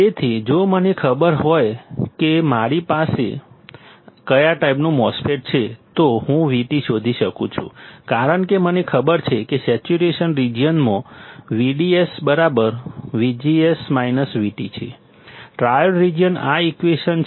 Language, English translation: Gujarati, So, if I know what kind of MOSFET I have, I can find out V T because I know that in saturation region V D S equals to V G S minus V T, triode region; this is the equation